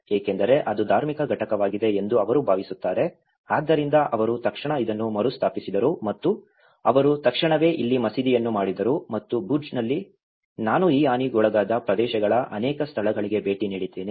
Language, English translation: Kannada, Because that is the religious entity where they feel so that is how they immediately retrofitted this and they immediately made a mosque here and in Bhuj, I visited to many places of these damaged areas